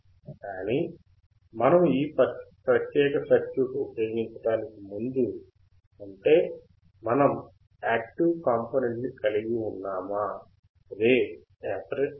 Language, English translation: Telugu, But before we use this particular circuit; that means, that we are we are having active component, which is the operation amplifier, which is the operation amplifier, right